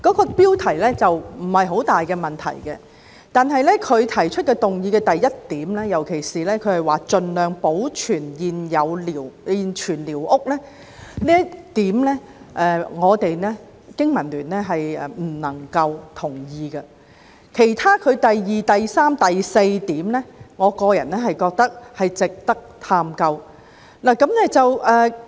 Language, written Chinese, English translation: Cantonese, 這標題沒有太大問題，但議案中第一點，尤其是提出"盡量保留現存寮屋"這一點，我們香港經濟民生聯盟不能同意；至於第二、三及四點，我個人認為值得探究。, This title itself is fine . However in point 1 of the motion it particularly suggests retaining as far as possible the existing squatter structures to which our Business and Professionals Alliance for Hong Kong cannot agree . In regard to points 2 3 and 4 I personally think that they are worth exploring